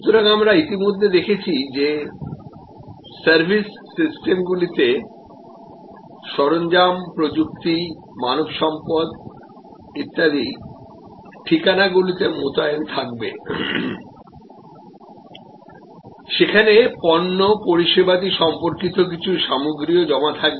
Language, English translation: Bengali, So, we have already seen before that service systems will have equipment, technology, human resources, deployed in facilities, there will be some inventories related to product service